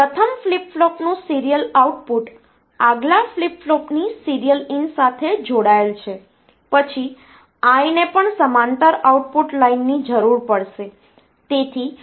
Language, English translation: Gujarati, So, this is the serial output of the first flip flop connected to the serial in of the next flip flop, then the I will need the parallel output line as well